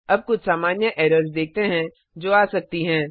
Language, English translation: Hindi, Now let us see some common errors which we can come accross